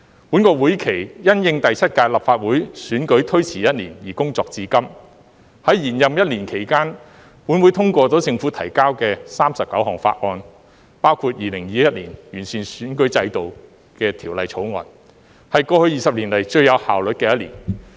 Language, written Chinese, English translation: Cantonese, 本會期因應第七屆立法會選舉推遲一年而工作至今，在延任一年期間，立法會通過了政府提交的39項法案，包括《2021年完善選舉制度條例草案》，是過去20年以來最有效率的1年。, This session has been extended due to the postponement of the General Election for the Seventh Legislative Council for one year . In this year of term extension the Legislative Council passed 39 bills submitted by the Government including the Improving Electoral System Bill 2021 . The past year is the most efficient year in the past 20 years